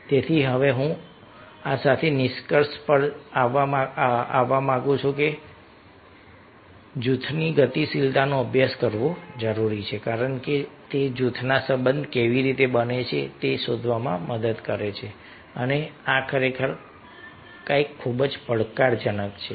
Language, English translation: Gujarati, so with these now, i would like to conclude that it can be concluded that the group dynamics is essential to study because it helps to find how the relationship are made within the group member, and this is really something very challenging